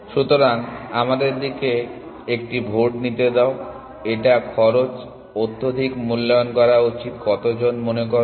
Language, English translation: Bengali, So, let us take a vote, how many people feel it should overestimate the cost